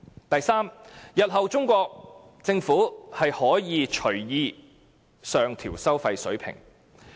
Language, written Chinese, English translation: Cantonese, 第三，日後中國政府可隨意上調收費水平。, Third the Chinese Government can increase the toll levels at will